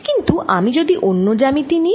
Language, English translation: Bengali, but what if i take a different geometry